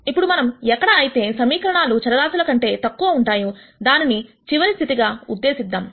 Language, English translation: Telugu, So, that finishes the case where the number of equations are more than the number of variables